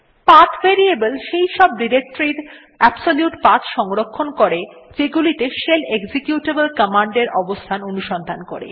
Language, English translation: Bengali, The PATH variable contains the absolute paths of the directories that the shell is supposed to search for locating any executable command